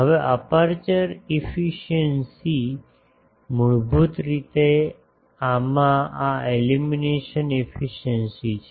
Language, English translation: Gujarati, Now, aperture efficiency is basically this illumination efficiency into these